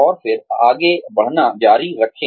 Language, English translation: Hindi, And then, continue moving on